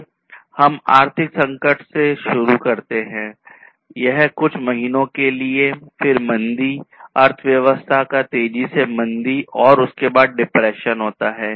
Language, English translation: Hindi, So, we start with the economic crisis then that is that will take place for few months, then recession, basically it is a slowing down, a rapid slowdown of the economy and thereafter we have the depression